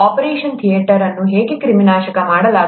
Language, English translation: Kannada, How is an operation theatre sterilized